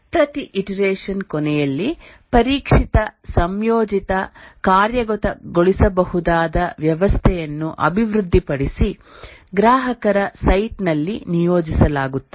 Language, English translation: Kannada, At the end of each iteration, a tested, integrated, executable system is developed deployed at the customer site